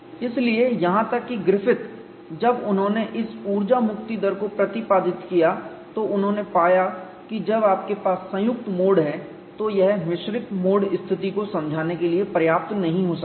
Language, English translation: Hindi, So, even Griffith when he propounded this energy release rate, he found when you have a combine modes, this may not be sufficient to explain the next mode situation